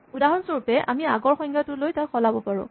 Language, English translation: Assamese, For instance, we could take the earlier definition and change it